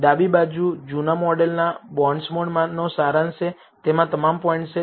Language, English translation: Gujarati, On the left is the summary of the old model bondsmod that contains all the points